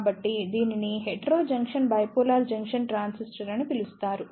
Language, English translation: Telugu, So, there is a new type of Bipolar Junction Transistor that is known as Heterojunction Bipolar Transistor